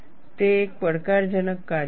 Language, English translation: Gujarati, It is a challenging task